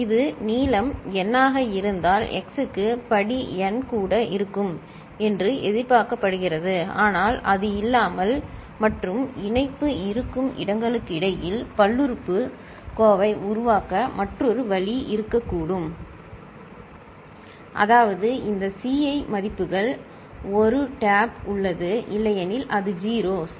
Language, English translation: Tamil, If it is of length n, so x to the power n is also expected to be there, but there could be another way the polynomial can be generated without that and in between wherever the connection is there; that means, these Ci values are 1 – the tap is there otherwise it is 0, right